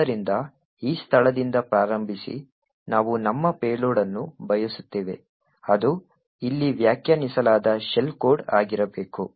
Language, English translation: Kannada, So, starting from this location we would want our payload that is the shell code defined over here to be present